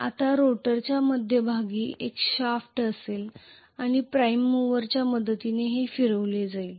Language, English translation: Marathi, Now the rotor will have a shaft in the middle and this is going to be rotated with the help of a prime mover